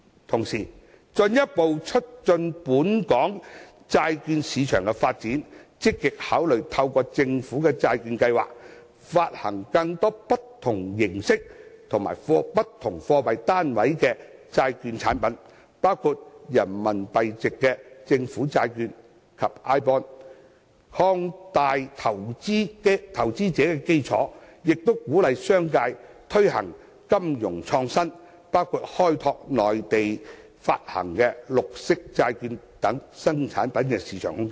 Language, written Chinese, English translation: Cantonese, 同時，進一步促進本港債券市場的發展，積極考慮透過政府債券計劃，發行更多不同形式及不同貨幣單位的債券產品，包括人民幣面值的政府債券及 iBond， 擴大投資者的基礎，亦鼓勵商界推行金融創新，包括開拓內地發行的綠色債券等新產品的市場空間。, We also hope that the Government can actively consider issuing more bond products of different forms and currency units including government bonds in Renminbi denomination and iBond so as to broaden the investor base and also encourage the business sector to be innovative in their financial endeavours including developing the new product market in the Mainland such as the green bonds issued in the Mainland